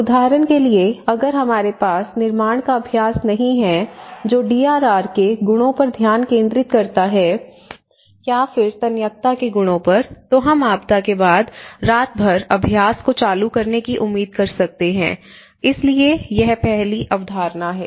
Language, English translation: Hindi, For instance, if we don’t have a building practice that focuses on the DRR or the qualities of resilience, we can scarcely hope to turn the practice around overnight after a disaster, so this is the first concept